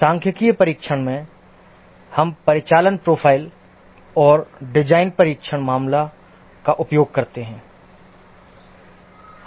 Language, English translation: Hindi, In statistical testing, we use the operational profile and design test cases